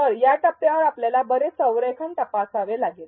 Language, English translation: Marathi, So, there is a lot of alignment that we have to check at this stage